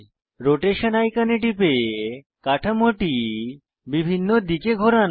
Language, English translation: Bengali, Click on the Rotation icon to rotate the structure in various directions